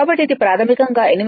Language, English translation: Telugu, So, it is basically 88